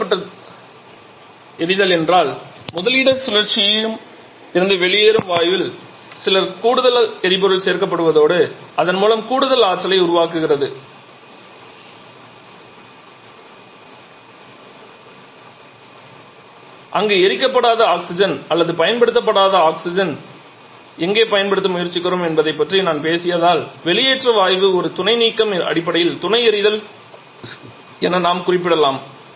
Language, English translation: Tamil, Exhaust fired means where some additional fuel is added in the gas that is coming out of the topping cycle and thereby producing some additional amount of energy where a supplement referred as I have talked about where we are trying to utilize the unburned oxygen or unused oxygen of the exhaust gas that we can refer to as a supplementary fire